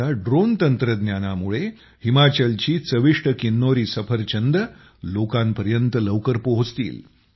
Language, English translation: Marathi, Now with the help of Drone Technology, delicious Kinnauri apples of Himachal will start reaching people more quickly